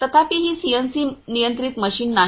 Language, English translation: Marathi, However, since this is not a CNC controlled machine control machine